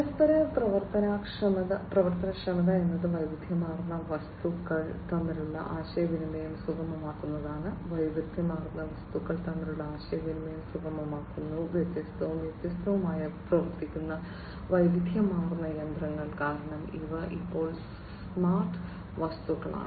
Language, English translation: Malayalam, Interoperability is about facilitating communication between heterogeneous objects facilitating communication between heterogeneous objects, heterogeneous machinery running different, different, because these are now smart objects right